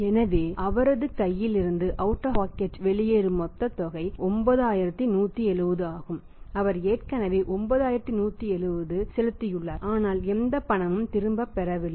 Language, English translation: Tamil, So the total amount which is going out of his pocket is 9170 he has already paid 9170 but not received any cash right